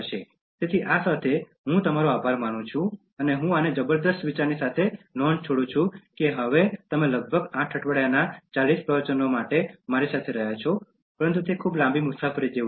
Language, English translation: Gujarati, So, with this, I thank you and I leave this with a note of overwhelming thought that you have been with me now for the 40 lectures about 8 weeks, but it is like a very long journey